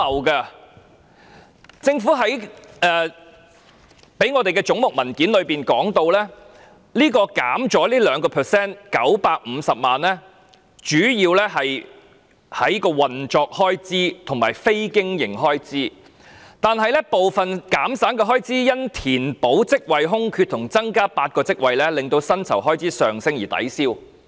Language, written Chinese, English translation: Cantonese, 據政府發給我們有關總目的文件指出，預算減少了 2%， 主要運作開支減省，但部分減省的開支因非經營開支上升，以及因填補職位空缺及增加8個職位令薪酬開支上升而抵銷。, According to the paper on the relevant head provided by the Government the 2 % 9.5 million reduction in estimate is mainly due to less operating expenses which is partly offset by the increase in personal emoluments arising from filling of vacancies and an increase of eight posts